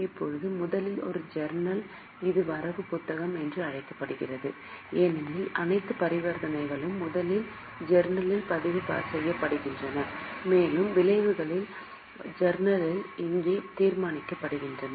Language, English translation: Tamil, Now, this is called as a book of original entry because all the transactions are first recorded in journal and the effects are decided here in journal